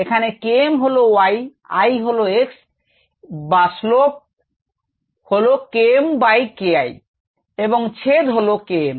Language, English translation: Bengali, k m dash is y, i is x and the slope in that cases k m by k i and the intercept is k m